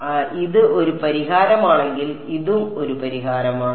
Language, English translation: Malayalam, So, if this is a solution, this is also a solution right